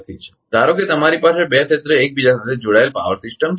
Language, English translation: Gujarati, Suppose you have a two area interconnected power system